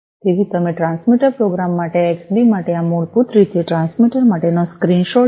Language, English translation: Gujarati, So, in that for the transmitter program, for Xbee this is basically a screenshot for the transmitter